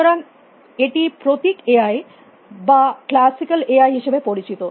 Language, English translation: Bengali, So, this is known as the ability symbolic AI of classical AI